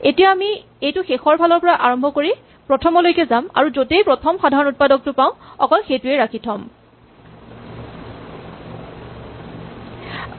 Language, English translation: Assamese, So now we are doing it from the end to the beginning and keeping only the first factor that we find